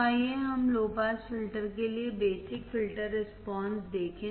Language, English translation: Hindi, So, let us see basic filter response for the low pass filter